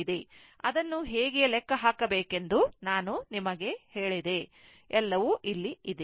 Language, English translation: Kannada, I told you how to calculate it; everything is here, right